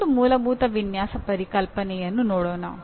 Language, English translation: Kannada, That is what fundamental design concepts